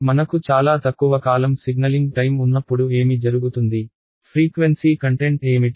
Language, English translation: Telugu, There what happens when I have a very short lived signaling time, what is the frequency content